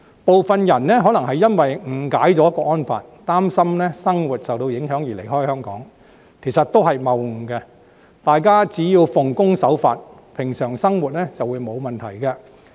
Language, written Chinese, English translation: Cantonese, 部分人可能因為誤解了《香港國安法》，擔心生活受到影響而離開香港，這其實都是謬誤，大家只要奉公守法，平常生活便沒有問題。, It is possible that some of them have misunderstandings about the Hong Kong National Security Law and thus decide to leave Hong Kong so that their life will not be affected but this is actually a fallacy . There will be no problem as long as we keep on leading a law - abiding and normal life